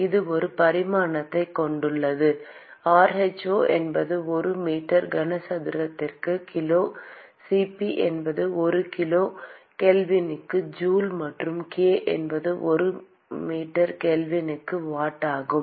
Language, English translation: Tamil, This has a dimension, rho is kg per meter cube, Cp is joule per kilogram kelvin and k is watt per meter kelvin